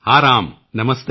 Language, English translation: Punjabi, Yes Ram, Namaste